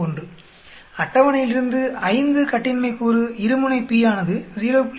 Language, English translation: Tamil, 571, from the table assuming 5 degrees of freedom two tail p is equal to 0